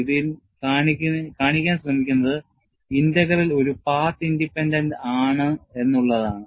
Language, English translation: Malayalam, And what is attempted to be shown in this is, the integral is also path independent